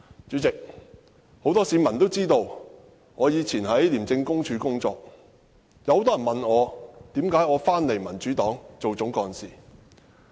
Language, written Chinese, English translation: Cantonese, 主席，很多市民都知道，我曾經在廉政公署工作，很多人問我，為何返回民主黨擔任總幹事。, President many people know that I once worked with the Independent Commission Against Corruption ICAC . They asked me why I resigned and became the chief executive of the Democratic Party